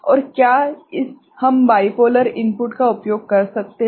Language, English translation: Hindi, And can we use bipolar input